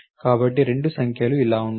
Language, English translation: Telugu, So, this is what the 2 numbers should be